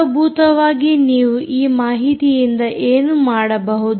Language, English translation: Kannada, what is it that you can do with this data